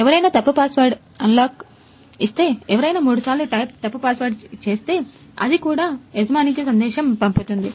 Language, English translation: Telugu, If someone will give type wrong password for three times, then also it will send a message to the owner